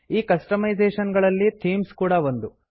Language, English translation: Kannada, One of the customisation is Themes